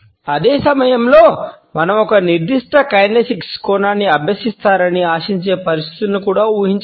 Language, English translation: Telugu, At the same time we can also imagine situations in which we may be expected to practice a particular kinesics aspect